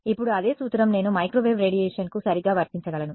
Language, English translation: Telugu, Now, the same principle I can apply to microwave radiation right